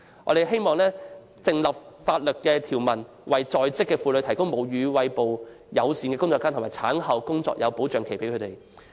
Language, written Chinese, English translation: Cantonese, 我們希望訂立法例，為在職婦女提供便利母乳餵哺的工作間和產後工作保障期。, We wish to enact legislation to provide working women with workplaces facilitating breastfeeding and a period of postnatal employment protection